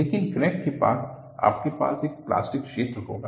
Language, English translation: Hindi, But, near the crack you will have a plastic zone